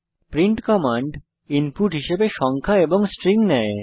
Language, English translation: Bengali, print command, takes numbers and strings as input